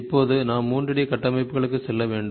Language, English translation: Tamil, We moved into 3, we have to now moved into 3 D structures